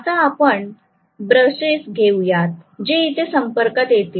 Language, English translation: Marathi, Now, we will have brushes which will make contact here